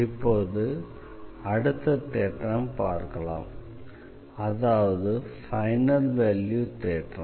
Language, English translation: Tamil, Now, let us come to the next theorem that is final value theorem